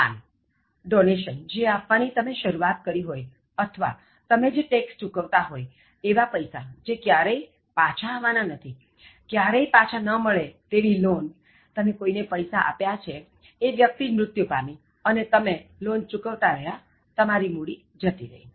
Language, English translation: Gujarati, Charity, this includes donation that you might begin or even the tax that you pay, the money that never returns to you, unrecoverable loan, you gave money to somebody that person passed away and the loan that you keep repaying the loan amount that goes